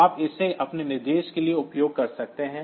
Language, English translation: Hindi, So, you can use it for your own purpose